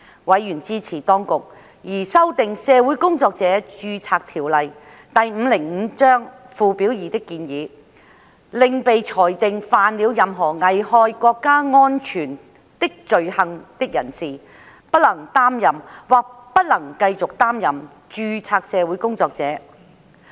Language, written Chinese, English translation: Cantonese, 委員支持當局擬修訂《社會工作者註冊條例》附表2的建議，令被裁定犯了任何危害國家安全的罪行的人士不能擔任或不能繼續擔任註冊社會工作者。, Members supported the Administrations proposal to amend Schedule 2 to the Social Workers Registration Ordinance Cap . 505 so that a person convicted of any offence endangering national security shall be disentitled from being or continuing to be a registered social worker